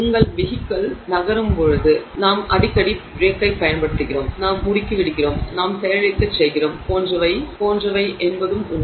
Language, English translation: Tamil, It is also true that as your vehicle is moving, are often applying a brake, we are accelerating, we are decelerating etc